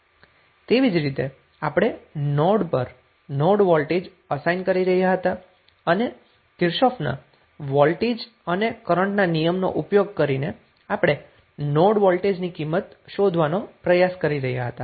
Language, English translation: Gujarati, Similarly, a node voltage we were assigning voltage at the node and using Kirchhoff’s voltage and current law we were trying to identify the node voltage value